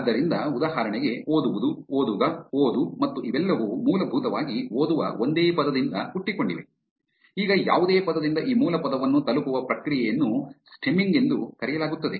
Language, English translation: Kannada, So, for example, read, reading, reader, read and all of these essentially are derived from the same word which is read; now the process of reaching this base word from any word is called stemming